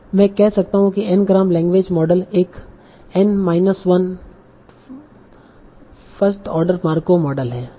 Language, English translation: Hindi, So I can say an n gram language model is in n minus 1 order mark of model